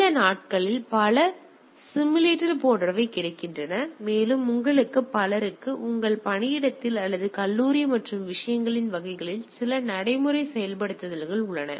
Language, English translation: Tamil, And all with these days several simulators etcetera available and also some many of you having some practical implementation at your workplace or college and type of things